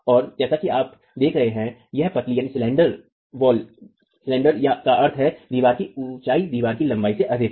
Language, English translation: Hindi, And as you can see, it's rather slender, meaning the height is more than the length of the wall itself